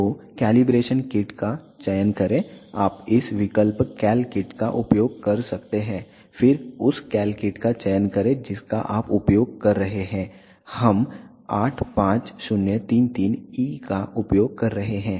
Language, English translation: Hindi, So, select the calibration kit you can use this option cal kit then select the cal kit that you are using, we are using the 85033E